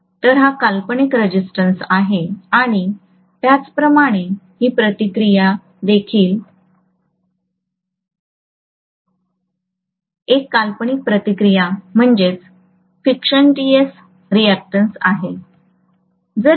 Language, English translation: Marathi, So this is the fictitious resistance and similarly this reactance is also a fictitious reactance